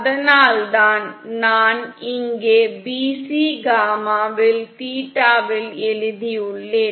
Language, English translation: Tamil, That’s why I've written here at bc gamma in theta should be this simple expression